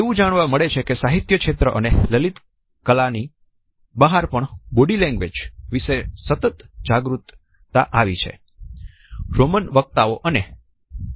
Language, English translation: Gujarati, Even outside the domains of literature and fine arts we find that there has been a continuous professional awareness of body language